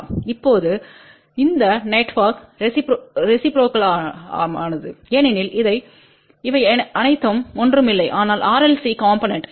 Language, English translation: Tamil, Now, this network is reciprocal because all these are nothing but RLC component